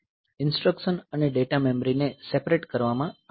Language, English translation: Gujarati, So, instruction and data memory are separated